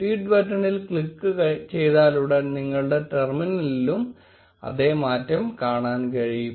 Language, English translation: Malayalam, As soon as you click on the tweet button, you will be able to see the same change in your terminal